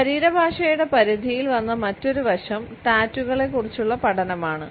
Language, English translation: Malayalam, Another aspect which has come under the purview of body language now is the study of tattoos